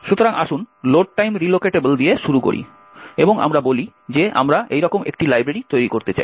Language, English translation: Bengali, So, let us start with load time relocatable and let us say that we want to create a library like this